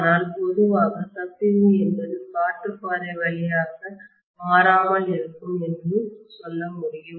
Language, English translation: Tamil, But in general what I can say is the leakage is invariably through the air path